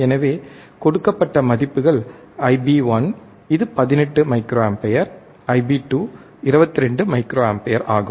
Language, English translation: Tamil, So, given the values of I b 1, which is 18 microampere, I bIb 2 is 22 microampere